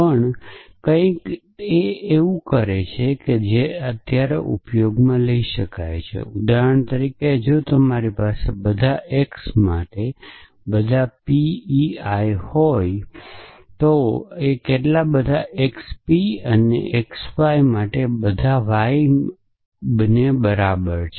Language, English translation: Gujarati, Also something which are use some times that is that for example, if you have for all x for all by p x y there p some predicate this is equivalent to for all y for all x p x y